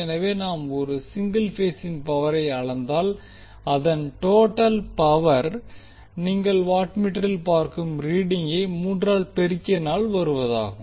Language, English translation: Tamil, So if we measure power for one single phase the total power will be three times of the reading of 1 watt meter